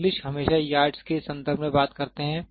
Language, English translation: Hindi, English always talks in terms of yards